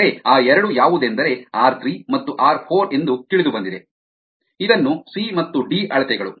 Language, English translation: Kannada, let us say that those two are r three and r four, which are known, which can be known from c and d measurements